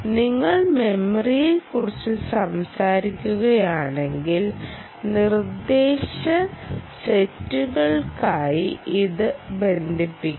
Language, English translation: Malayalam, if you talk about memory, you have to relate it to the instructions set somehow